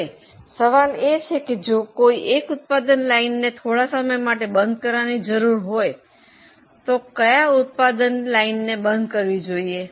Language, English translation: Gujarati, Now the question is if one of the product lines is to be closed temporarily, which product line should be closed